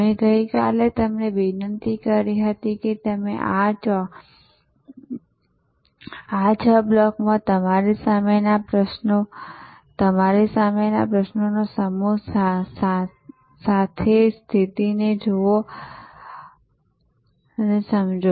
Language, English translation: Gujarati, I had requested you yesterday that you combine this understanding of positioning with these sets of questions in front of you in these six blocks